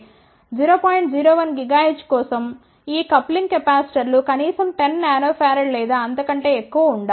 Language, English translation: Telugu, 01 gigahertz these coupling capacitors should be at least 10 nano farad or more